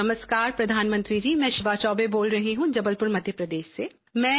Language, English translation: Hindi, "Namaskar Pradhan Mantri ji, I am Shivaa Choubey calling from Jabalpur, Madhya Pradesh